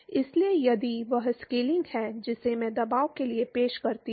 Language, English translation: Hindi, So, if that is the scaling that I introduce for pressure